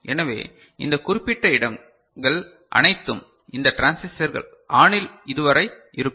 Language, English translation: Tamil, So, all of these particular places these transistors will be on right up to this